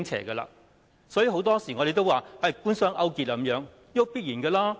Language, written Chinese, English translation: Cantonese, 所以，我們很多時候說官商勾結，這結果是必然的。, For this reason we have been saying from time to time that the government - business collusion is an inevitable result